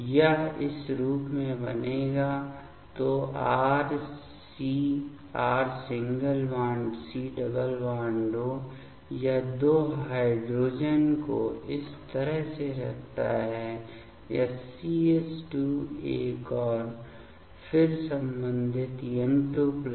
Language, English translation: Hindi, This will form as; so, R C=O this putting 2 hydrogen’s like this this CH2 one and then the corresponding N2 plus